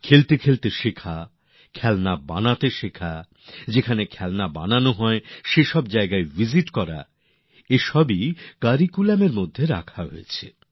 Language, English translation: Bengali, Learning while playing, learning to make toys, visiting toy factories, all these have been made part of the curriculum